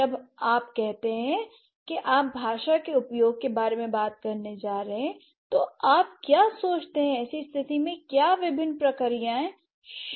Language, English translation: Hindi, So, when you say you are going to talk about language use, so what do you think what are the different processes involved in such situations